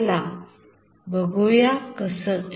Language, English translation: Marathi, Let us see that